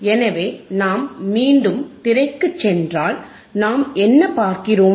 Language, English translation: Tamil, So, if we go back to the screen, if we go back to the screen what we see